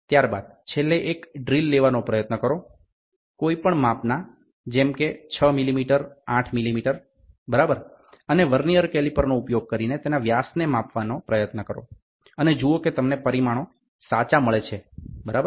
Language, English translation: Gujarati, Then last one is try to take a drill of any dimension 6 millimeter 8 millimeter, right any drill try to measure the diameter using a Vernier caliper and see whether you get the results correct, ok